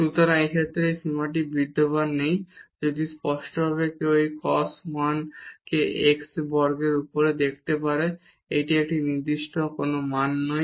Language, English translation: Bengali, So, in this case this limit does not exist if clearly one can see this cos 1 over x square this is not a definite value